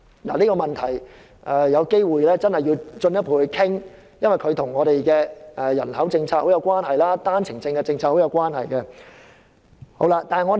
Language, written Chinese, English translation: Cantonese, 大家要進一步討論這問題，因為這跟我們的人口政策和單程證政策有莫大關係。, We must further discuss this issue because the projection is closely related to our population policy and also the One - way permit policy